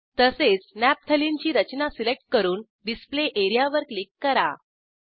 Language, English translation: Marathi, Likewise lets select Naphtalene structure and click on the Display area